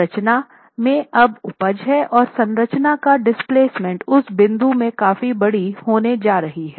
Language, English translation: Hindi, That is, the structure is now yielding and the displacements in the structure are going to be significantly larger from that point onwards